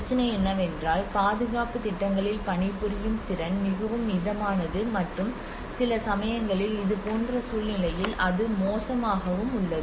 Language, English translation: Tamil, The problem is the workmanship in the conservation projects is very moderate at cases it is poor in such a situation